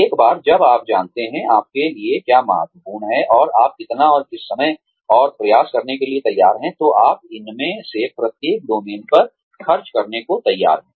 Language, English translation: Hindi, Once you know, what is important for you, and how much, and what you are willing to the amount of time and effort, you are willing to spend, on each of these domains